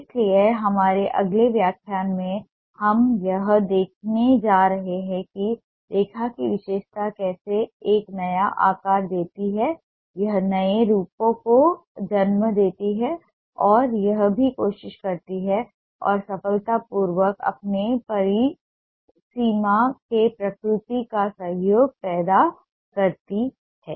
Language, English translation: Hindi, so in our next lecture we are going to see how the characteristic of line gives a new shape, it gives birth to new forms and also it tries ah and ah successfully creates association of ah, nature in its delineation